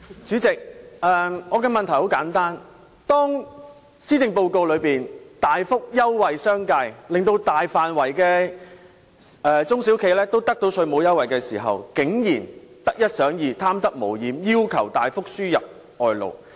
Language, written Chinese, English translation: Cantonese, 主席，我的問題很簡單，施政報告大幅優惠商界，令大範圍的中小企得到稅務優惠，但他們竟然得一想二、貪得無厭，要求大幅輸入外勞。, President my question is simple . The Policy Address offers a major concession to the business sector benefiting a large number of small and medium enterprises . But they are greedy and still want more